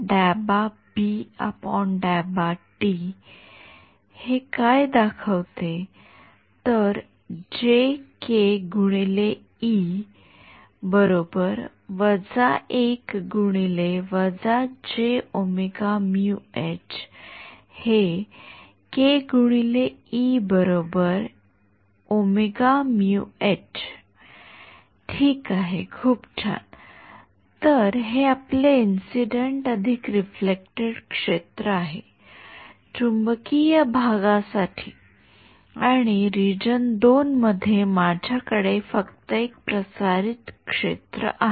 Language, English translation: Marathi, Alright very good so, this is our incident plus reflected field, for the magnetic part and in the region 2, I have only a transmitted field ok